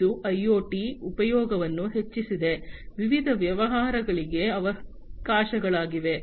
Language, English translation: Kannada, It has advent of IoT has increased, the opportunities for different businesses